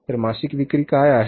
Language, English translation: Marathi, So, what is the monthly sales